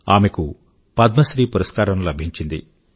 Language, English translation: Telugu, She was being decorated with the Padma Shri award ceremony